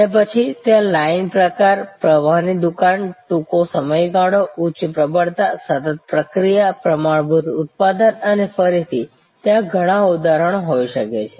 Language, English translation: Gujarati, And then, there can be line type, flow shop, short duration, high volume, continuous processing, standard product and again, there can be many instances